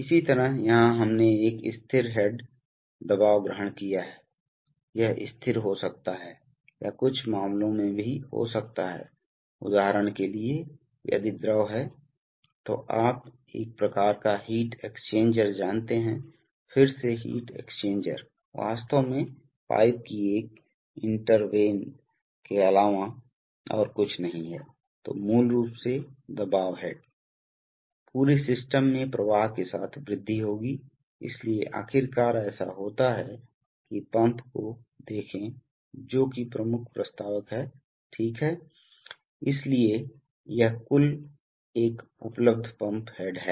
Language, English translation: Hindi, Similarly here we have assumed a static head pressure, it may be constant or in some cases even this, for example if the fluid is at, you know kind of heat exchanger then again the heat exchanger is actually nothing but a intertwined length of pipe, so basically the pressure head across the system will also increase with flow, so eventually what happens is that see the pump is the prime mover, right, so the total pump head available is this one